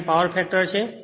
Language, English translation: Gujarati, 8 is the power factor